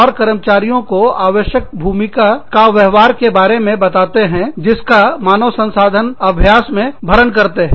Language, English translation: Hindi, And, the employees are told about, the needed role behaviors, that feed into the human resource practices